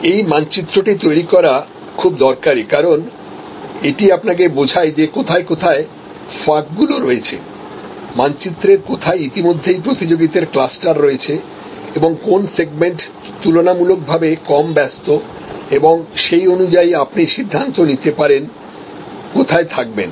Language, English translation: Bengali, And this creating this map is very useful, because it explains to you were your gaps are, where there already clusters of competitors and which is relatively less busy segment on the map and accordingly you can decide, where to be